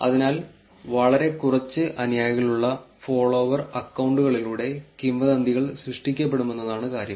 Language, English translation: Malayalam, So, the point is that the rumours could be created by follow accounts, who had followers very small